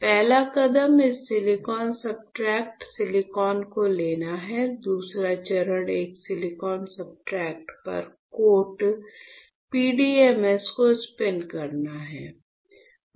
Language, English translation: Hindi, The first step is you take this silicon substrate, silicon; the second step is to spin coat PDMS on a silicon substrate